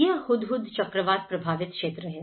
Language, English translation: Hindi, This is on the Hudhud cyclone affected areas